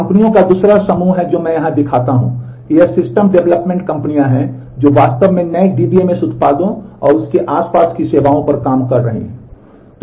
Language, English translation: Hindi, The second group of companies which I show here, these are system development companies who are actually working on the new DBMS products and services around that